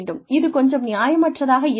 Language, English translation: Tamil, That, I think would be unreasonable